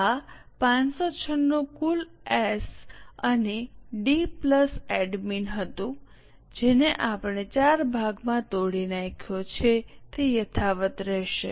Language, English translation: Gujarati, This 596 was total, S&D plus admin, which we have broken into four parts